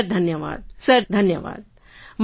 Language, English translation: Gujarati, Thank you sir, thank you sir